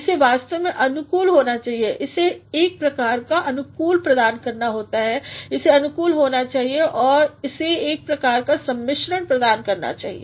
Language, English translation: Hindi, it should actually cohere it should provide a sort of coherence know it should cohere, it should provide a sort of blending